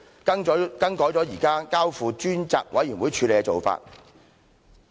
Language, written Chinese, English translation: Cantonese, 更改了現在交付專責委員會處理的做法。, This is a change over the current practice of referring it to a select committee